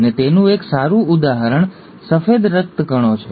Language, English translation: Gujarati, And one good example is the white blood cells